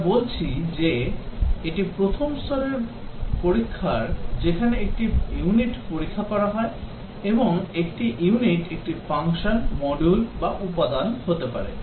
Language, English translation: Bengali, We are saying that this is the first level of testing where a unit is tested, and a unit can be a function a module or a component